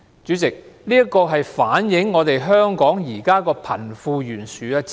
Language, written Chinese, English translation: Cantonese, 主席，這反映香港現時的貧富懸殊問題。, Chairman this reflects the seriousness of the disparity between the rich and the poor in Hong Kong